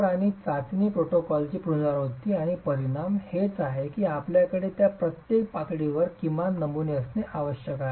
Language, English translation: Marathi, And the repeatability of the test protocol and the outcome is the reason why you have a minimum number of samples that you must have in each of these levels